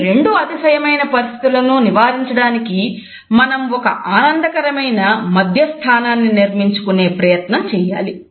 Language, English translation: Telugu, In order to avoid these two situations of extreme, we should try to plan and prepare for a happy medium